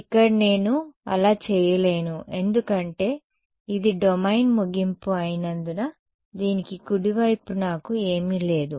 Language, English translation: Telugu, Here I cannot do that because it is the end of the domain I have nothing to the right of this